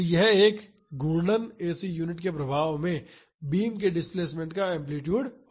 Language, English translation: Hindi, So, that will be the amplitude of the displacement of the beams under the effect of a rotating AC unit